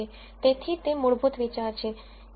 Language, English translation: Gujarati, So, that is the basic idea